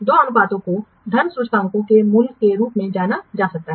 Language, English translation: Hindi, The two ratios, they can be thought of as some value of money indices